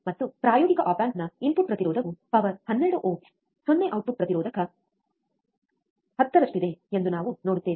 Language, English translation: Kannada, And we will see the input impedance of an practical op amp is around 10 to the power 12 ohms 0 output impedance